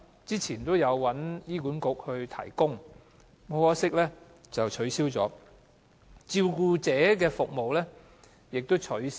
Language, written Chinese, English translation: Cantonese, 以前，這項服務會由醫院管理局提供，可惜現已取消；照顧者服務亦已取消。, For example the discharged support for patients used to be provided by the Hospital Authority HA had regrettably been withdrawn . The carer services were gone too